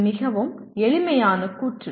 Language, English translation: Tamil, It looks very simple statement